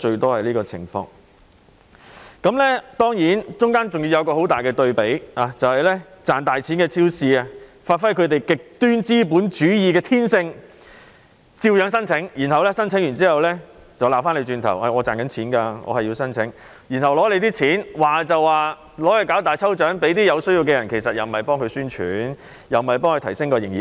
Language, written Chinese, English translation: Cantonese, 當然，過程中還出現強烈的對比，那便是賺大錢的超級市場發揮其極端資本主義的天性，照樣申請資助，申請後還卻指罵，表示他們賺錢仍可申請計劃，獲取資助後便說會為有需要的人舉行大抽獎，但其實也是為超級市場宣傳，提升營業額。, Of course there are also stark contrasts in the process . Supermarkets which are reaping great profits have brought their extreme capitalist nature into full play as they still applied for the assistance . After submitting their applications they talked back that they could also apply for ESS though they were making money